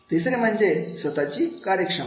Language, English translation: Marathi, Third is a self efficacy